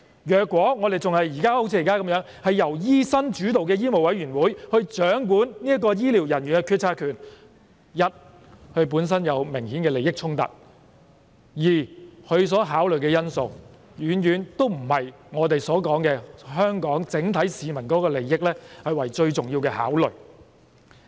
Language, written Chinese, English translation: Cantonese, 如果現時的情況持續，由醫生主導的香港醫務委員會掌管醫療人員的決策權，第一，他們本身有明顯的利益衝突；第二，他們所考慮的因素遠遠不是我們所說，以香港整體市民的利益為最重要的考慮。, If the present situation will continue in that the power to make policies on healthcare workers rests with the doctors - led Medical Council of Hong Kong firstly they obviously have conflicts of interest and secondly the factors that they will take into consideration are a far cry from our view that the overall public interest in Hong Kong is of paramount importance